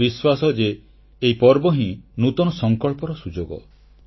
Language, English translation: Odia, I am sure these festivals are an opportunity to make new resolves